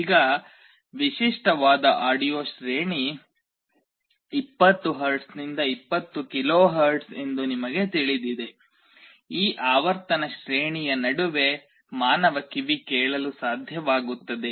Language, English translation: Kannada, Now, you know that the typical audio range is 20 Hz to 20 KHz, human ear is able to hear between this frequency range